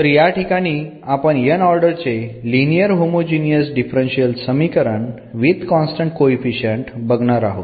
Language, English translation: Marathi, So, here we will consider such a differential equation, the nth order linear homogeneous differential equation with constant coefficient